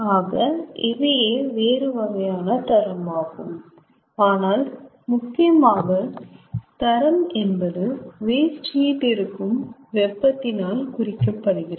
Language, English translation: Tamil, but mainly quality is denoted by the temperature at which the waste heat is available